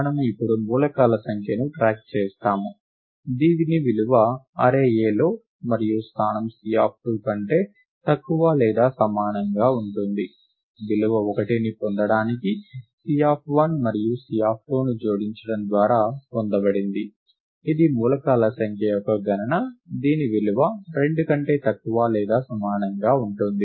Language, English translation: Telugu, Observe that, we now keep track of the number of elements, whose value is less than or equal to 2 in the array A and in the location C of 2; thats obtained by adding C of 1 and C of 2 to get the value 1, which is a count of the number of elements, whose value is less than or equal to 2